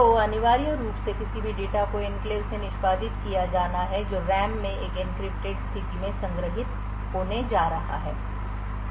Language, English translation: Hindi, So, essentially any data which is to be executed from the enclave is going to be stored in the RAM in an encrypted state